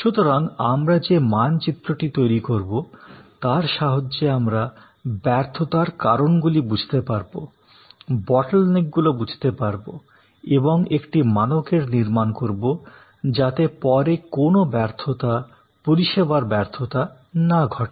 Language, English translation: Bengali, So, we map we create understand the fail points, we understand by a bottleneck points, we set up standard, so that of there is no failure, service failure